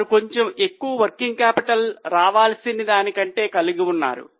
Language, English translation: Telugu, They are having slightly higher working capital than required